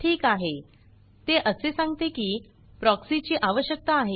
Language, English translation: Marathi, Alright, it comes and says proxy authentication is required